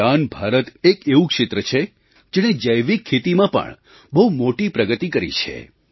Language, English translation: Gujarati, North east is one region that has made grand progress in organic farming